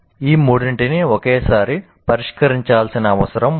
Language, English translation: Telugu, All the three need to be addressed at the same time